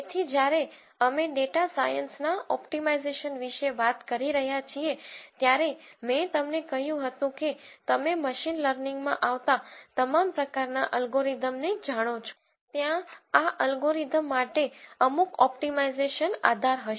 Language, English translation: Gujarati, So, when we were talking about optimization for data science, I told you that you know all kinds of algorithms that you come up with in machine learning there will be some optimization basis for these algorithms